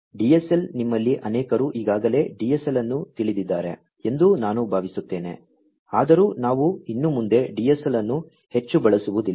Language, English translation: Kannada, DSL I think many of you are already familiar with DSL, although we tend not to use DSL much anymore